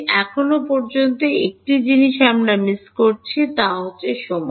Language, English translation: Bengali, One thing we are missing so far is time